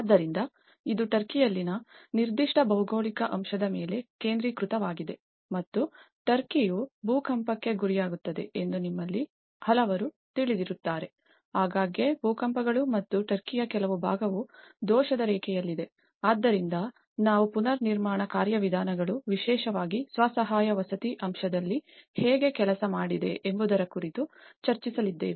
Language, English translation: Kannada, So, this is a focus on a particular geographical aspect in the Turkey and as many of you know that Turkey is prone to earthquake; frequent earthquakes and certain part of Turkey is lying on the fault line, so that is wherein we are going to discuss about how the reconstruction mechanisms have worked out especially, in the self help housing aspect